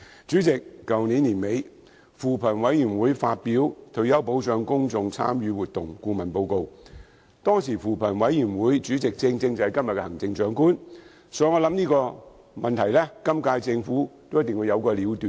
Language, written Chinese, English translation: Cantonese, 主席，去年年底，扶貧委員會發表《退休保障公眾參與活動報告》，當時的扶貧委員會主席，正正就是今天的行政長官，所以我想這個問題今屆政府一定會有個了斷。, President the Commission on Poverty CoP issued the Report on Public Engagement Exercise on Retirement Protection at the end of last year . The chairperson of CoP at the time was the incumbent Chief Executive hence I believe the issue will be concluded one way or another within the current - term Government